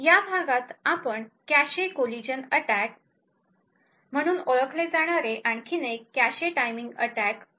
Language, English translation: Marathi, In this lecture will be looking at another cache timing attack known as cache collision attacks